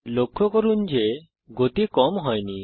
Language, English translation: Bengali, Notice that the speed does not decrease